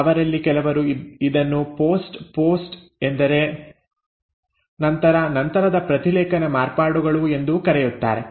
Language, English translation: Kannada, Some of them will also call this as post, post means after, post transcriptional modifications